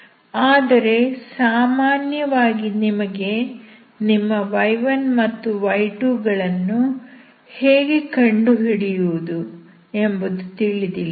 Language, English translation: Kannada, But in general you do not know how to find your y1 and y2